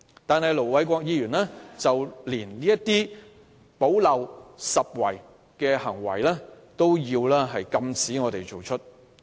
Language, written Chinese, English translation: Cantonese, 然而，盧偉國議員連我們進行補漏拾遺的工作也要阻撓。, However even our effort in making minor rectifications was thwarted by Ir Dr LO Wai - kwok